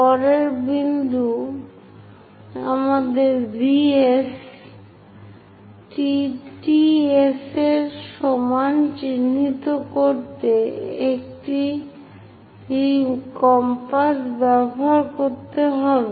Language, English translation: Bengali, The next point is we have to use compass to mark V S is equal to T S; V, so locate this point as T